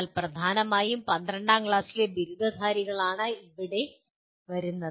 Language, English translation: Malayalam, But dominantly it is the graduates of 12th standard who come here